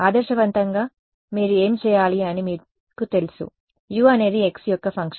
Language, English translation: Telugu, Ideally what you should do you know that U is a function of x